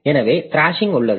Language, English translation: Tamil, So that is the thrashing